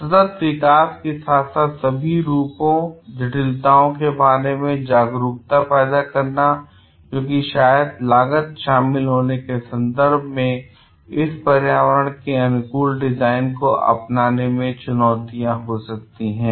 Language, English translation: Hindi, Commitment to sustainable development as well as the awareness of all the faces and complexities involved because there could be challenges in adapting this environmentally friendly designs in terms of maybe the cost involved